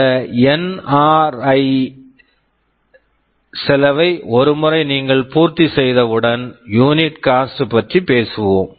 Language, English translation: Tamil, And once you have this NRE cost covered, you talk about unit cost